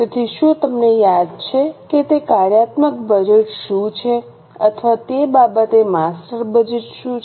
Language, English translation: Gujarati, So, do you remember what is a functional budget or what is a master budget for that matter